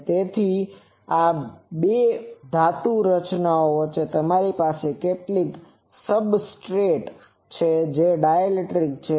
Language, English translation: Gujarati, So, between the two these metallic structures, you have some substrate that is a dielectric